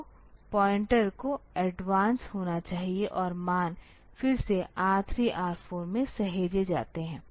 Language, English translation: Hindi, So, the pointer should advance; so this is pointer in advanced and the values are saved in R 3, R 4 again